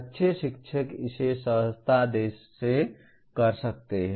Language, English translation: Hindi, Good teachers may do it intuitively